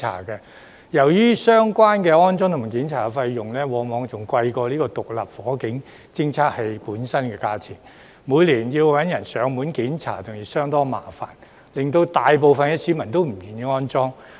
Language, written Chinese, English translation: Cantonese, 由於相關的安裝及檢查費用往往較獨立火警偵測器本身的價錢更高昂，每年找人上門檢查亦相當麻煩，大部分市民因而不願意安裝。, Since the installation and inspection costs of an SFD are usually higher than its price and it is very troublesome to arrange a contractor to conduct onsite inspection every year most members of the public are unwilling to install SFDs